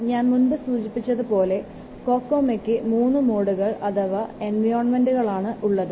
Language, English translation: Malayalam, See let's first see the Kokomo modes as I have already told you there are three modes or three environments for Kokomo